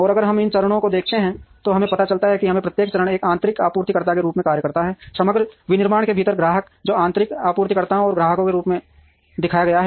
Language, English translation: Hindi, And if we look at these stages we would realize that each stage acts as an internal supplier customer within the overall manufacturing, which is shown in as internal suppliers and customers